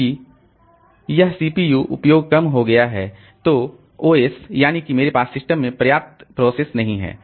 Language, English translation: Hindi, Since this CPU utilization has become low, then the OS thinks that I don't have enough processes in the system